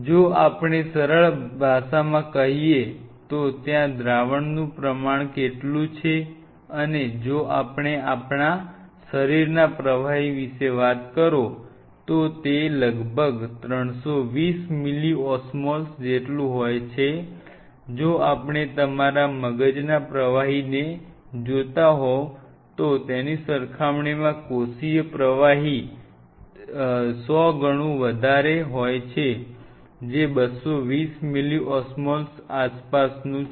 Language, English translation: Gujarati, If you give you how much proportion in a simplest language how much proportion of solute is present there, and if you talk about our body fluid it how was around 320 milliosmoles, that is essentially your extra cellular fluid as compare to if you look at your cerebrospinal fluid which is at least 100 magnitude lesser than that it is around 220 milliosmoles